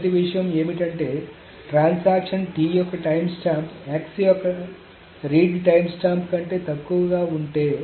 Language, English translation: Telugu, The first thing is that if the transaction, if the timestamp of t is less than the read timestamp of x